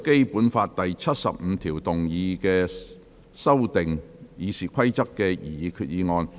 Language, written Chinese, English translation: Cantonese, 根據《基本法》第七十五條動議修訂《議事規則》的擬議決議案。, Proposed resolution under Article 75 of the Basic Law to amend the Rules of Procedure